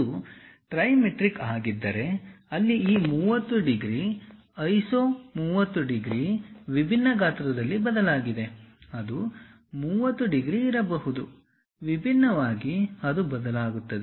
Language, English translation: Kannada, If it is trimetric, where this 30 degrees iso, 30 degrees is going to change in different size; it may not be 30 degrees, differently it varies